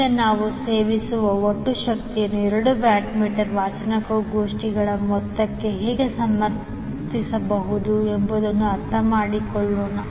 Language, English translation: Kannada, Now, let us understand how we can justify the total power consumed is equal to the sum of the two watt meter readings